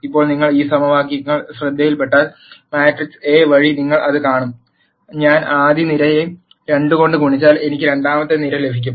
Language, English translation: Malayalam, Now if you notice these equations, through the matrix A you will see that, if I multiply the first column by 2 I get the second column